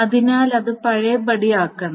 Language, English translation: Malayalam, So it must be undone